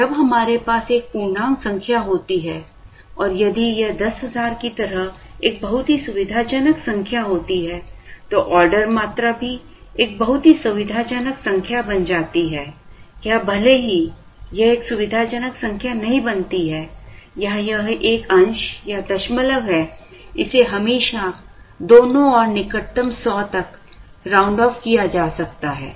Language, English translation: Hindi, And when we have an integer number here and if this is a very comfortable number like 10000 then the order quantity also becomes a very comfortable number or even if it does not become a comfortable number or it is a fraction, it can always be rounded off to the nearest 100 on either side and so on